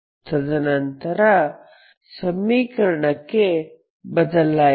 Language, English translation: Kannada, So we will just take the equation